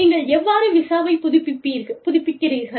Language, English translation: Tamil, So, and, how do you renew the visa